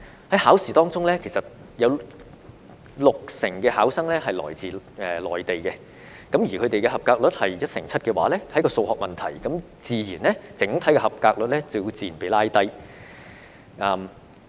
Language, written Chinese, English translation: Cantonese, 在考試當中，有六成考生來自內地，而他們的及格率只有一成七，這是一個數學問題，整體及格率自然被拉低。, In the examinations 60 % of the candidates came from the Mainland but their passing rate was only 17 % . This is a mathematical problem and the overall passing rate will definitely become lower